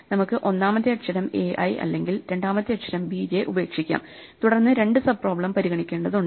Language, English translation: Malayalam, We could either drop the first letter a i or the second letter b j, and then we have to consider two sub problems